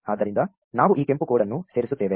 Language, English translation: Kannada, So, we just add this red code